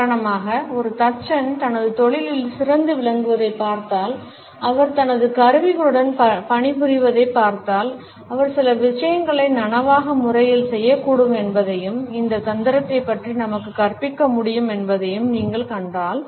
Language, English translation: Tamil, For example, if we look at a carpenter who is excellent in his profession and we watch him working with his tools, if you would find that there are certain things which he may do in a conscious manner and can teach us about these tricks